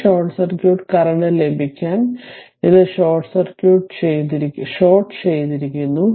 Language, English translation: Malayalam, To get this your short circuit current, this is shorted this is shorted right